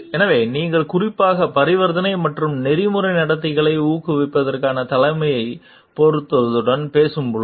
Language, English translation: Tamil, So, when you talk specifically with relevance to suitability of transaction and leadership for promoting ethical conduct is